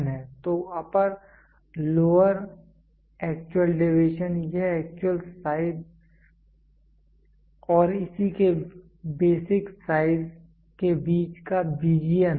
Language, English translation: Hindi, So, upper lower what actual deviation it is the algebraic difference between the actual size and it is corresponding basic size is the actual deviation